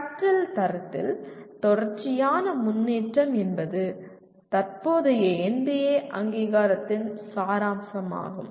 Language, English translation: Tamil, Continuous improvement in the quality of learning is what characterize is the essence of present NBA accreditation